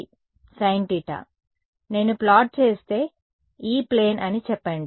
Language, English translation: Telugu, Sin theta right; so, if I plot if I take let us say the E plane ok